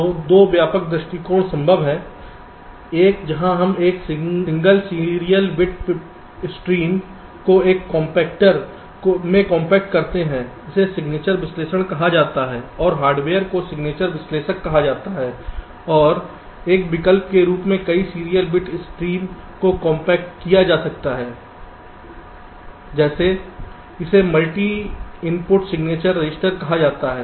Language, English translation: Hindi, so two broad approaches are possible: one where we compact a single serial bit stream into a compactor this is called signature analysis and the hardware is called signature analyzer and as an alternative, several serial bit streams can be compacted like